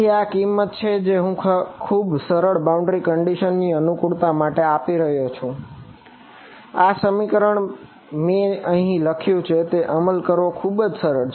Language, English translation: Gujarati, So, this is the price that I am paying for the convenience of a very simple boundary condition this expression that I have written on the over here is a very simple to implement